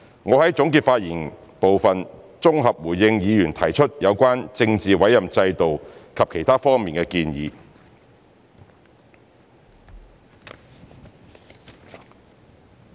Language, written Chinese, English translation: Cantonese, 我會在總結發言部分綜合回應議員提出有關政治委任制度及其他方面的建議。, In my closing remarks I will provide a consolidated response to Members views on the political appointment system and their recommendations